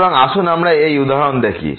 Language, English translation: Bengali, So, let us see in this example